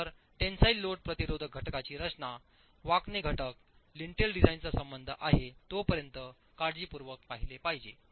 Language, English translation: Marathi, So, the design of the tensile load resisting element, the bending element, the lintel has to be looked at carefully as far as the design is concerned